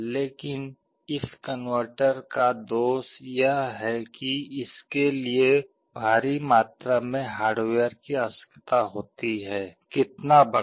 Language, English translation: Hindi, But the drawback of this converter is that it requires enormous amount of hardware, how large